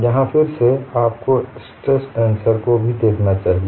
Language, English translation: Hindi, You have to know both this stress tensor as well as the strain tensor